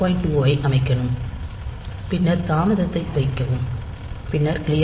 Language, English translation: Tamil, 2 then put a delay then clear 1